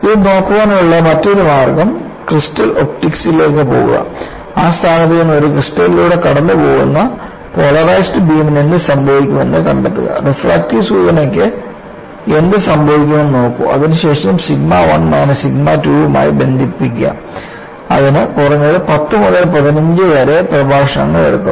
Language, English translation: Malayalam, The other way to look at is go to crystal optics; find out what happens to a polarized beam that passes through a crystal from that point; look what happens to the refractive index; from then on, relate it to sigma 1 minus sigma 2; that would take at least 10 to 15lectures